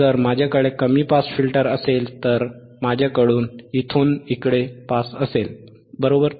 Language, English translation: Marathi, If I have a low pass filter means, I will have pass from here to here, correct